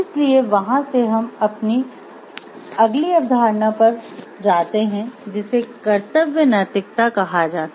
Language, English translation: Hindi, So, from there we move on to the next concept which is called the duty ethics